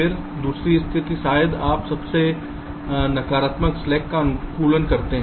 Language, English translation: Hindi, first one is to optimize the total negative slack